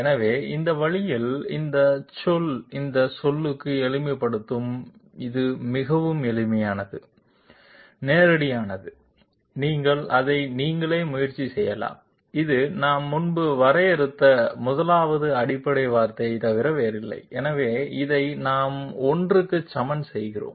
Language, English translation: Tamil, So this way, this term will simplify to this term it is extremely simple, straightforward, you can you can try it out yourself and this is nothing but the 1st fundamental form that we had previously defined and therefore we equate this to I